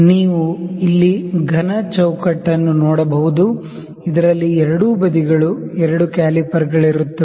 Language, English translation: Kannada, You can see the solid frame here, we in which are two calipers on the both sides